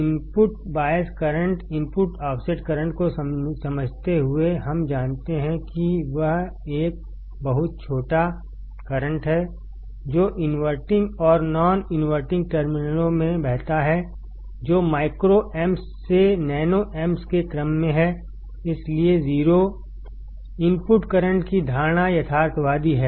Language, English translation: Hindi, While understanding input bias current,; input offset current, we knowsaw that there is a very small current that flows into the inverting and non inverting terminals; which is in the order of microamps to nanoamps, hence the assumption of 0 input current is realistic